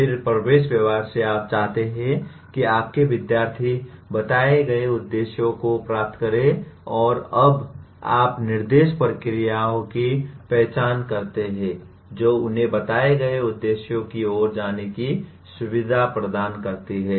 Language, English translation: Hindi, Then from the entering behavior you want your students to attain the stated objectives and you now identify instruction procedures that facilitate them to go towards the stated objectives